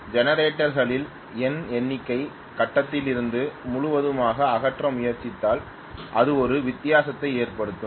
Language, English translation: Tamil, It will make a difference if I try to probably remove N number of generators completely from the grid